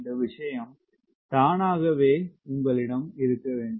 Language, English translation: Tamil, this thing should automatically come to you